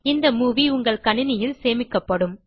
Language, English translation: Tamil, The movie will be saved on your computer